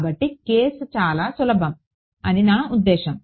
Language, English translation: Telugu, So, the I mean the case is very simple